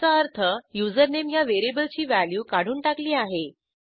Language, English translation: Marathi, This means that the value of variable username has been removed